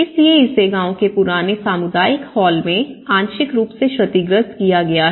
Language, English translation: Hindi, So, this is one example it has been partly damaged to the old community hall of the village